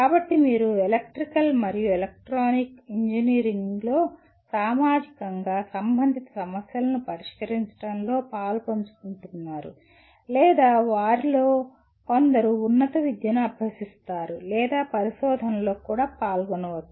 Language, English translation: Telugu, So by and large you are involved in solving socially relevant problems in electrical and electronic engineering or we expect some of them go for higher education or even involved in research